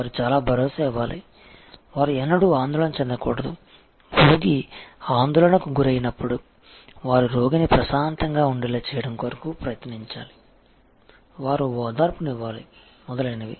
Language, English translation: Telugu, They should be very reassuring, they should never get agitated, when the patient is agitated, they should actually try to come the patient down, they should be soothing and so on